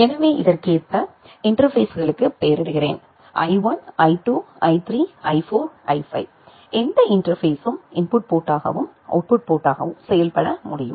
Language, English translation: Tamil, So, this is I am naming the interfaces accordingly this; I1, I2, I3, I4, I5, any of the interface can work as an input port as well as an output port